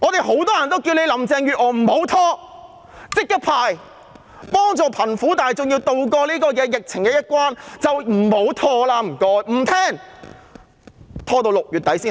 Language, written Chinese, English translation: Cantonese, 很多人叫林鄭月娥不要拖，要立即發放，協助貧苦大眾渡過疫情的難關，但她不聽我們的意見。, Lots of people have called on Carrie LAM to arrange for immediate disbursement without delay so as to tide the underprivileged over the difficulties arising from the epidemic . But she has refused to heed our call